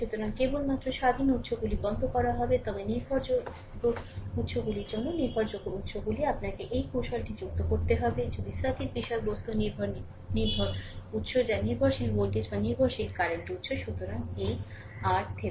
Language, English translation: Bengali, So, only independent sources will be turned off, but dependent sources for dependent sources you have to add out this technique; if circuit contents dependent sources that is dependent voltage or dependent current sources right; so, to get this R Thevenin